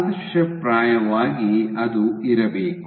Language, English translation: Kannada, So, ideally it should be